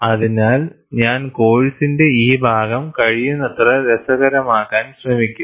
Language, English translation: Malayalam, So, what I will do is, I will try to make, this part of the course as interesting as possible